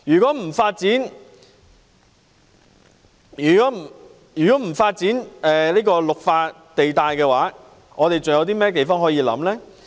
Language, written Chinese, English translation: Cantonese, 不發展"綠化地帶"，我們還有甚麼土地可以考慮？, Without the development of green belt sites what other land can we consider?